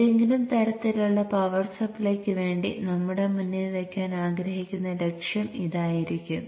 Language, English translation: Malayalam, This would be the objective that we would like to put before ourselves for any kind of a power supply